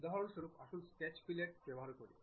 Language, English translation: Bengali, For example, let us use Sketch Fillet